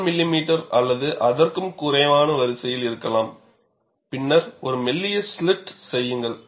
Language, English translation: Tamil, 1 millimeter or less, and then make a thin slit